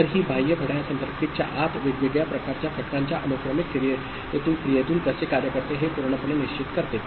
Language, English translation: Marathi, So, this external clock actually totally decides how the these different the sequential operation of the different kind of elements inside the circuit, ok